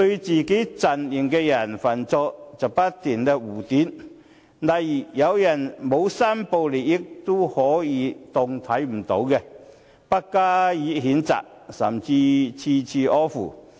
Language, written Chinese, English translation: Cantonese, 自己陣營的人犯錯，他們便不斷護短，例如有人沒有申報利益，也可視而不見，不加譴責，甚至處處呵護。, When a member of their own camp has erred they always try to cover up the errors . For instance when a Member failed to declare interests they simply turned a blind eye to the matter and did not censure him . They have even given all sorts of excuses on his behalf